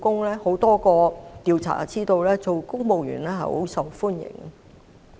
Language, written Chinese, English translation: Cantonese, 根據多個調查，公務員職位甚受歡迎。, According to a number of surveys positions in the civil service are very popular